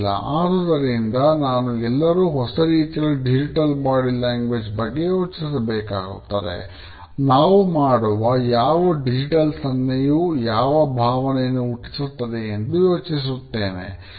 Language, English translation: Kannada, So, I had encouraged everyone to think about, what type of digital body language am I projecting